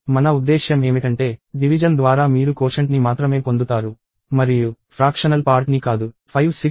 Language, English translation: Telugu, What I mean by divide is you get only the quotient and not the fractional part